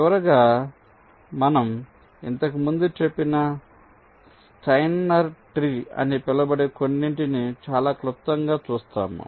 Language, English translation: Telugu, so, lastly, we look at very briefly some something called steiner trees, which we mentioned earlier